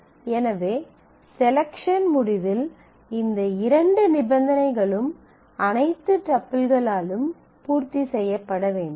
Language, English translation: Tamil, So, in the selection result both of these conditions must be satisfied by all the tuples which feature here